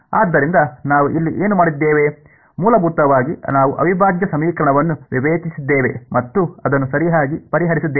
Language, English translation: Kannada, So, what we did over here was, essentially we discretized the integral equation and solved it right